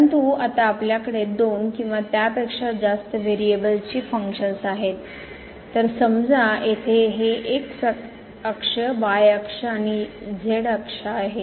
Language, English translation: Marathi, But now, we have functions of two or more variables, in this case suppose here this is axis, axis and axis